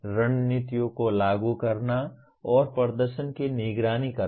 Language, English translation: Hindi, Applying strategies and monitoring performance